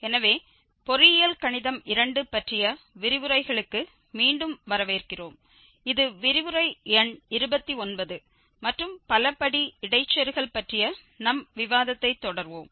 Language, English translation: Tamil, So, welcome back to lectures on engineering mathematics two and this is lecture number 29 and we will continue our discussion on polynomial interpolation